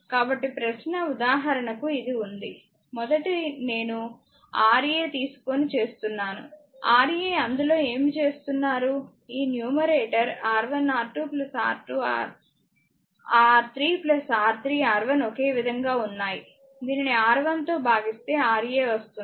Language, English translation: Telugu, So, question is that your for example, this one look for a first I am taking Ra; Ra right what we are doing in that is your R 1 R 2 this numerator is common R 1 R 2 plus your R 2 R 3 plus R 3 R 1 common divided by this is Ra right